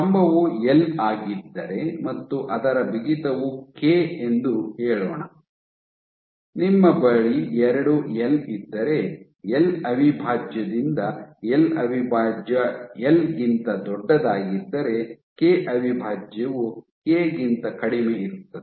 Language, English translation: Kannada, So, if the pillar is L and let us say its stiffness is K, if you have 2L if you have L prime by L prime is greater than L then K prime is going to be less than K